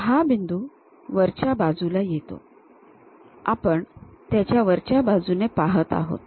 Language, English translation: Marathi, Now this point comes at top side of the we are looking from top side of that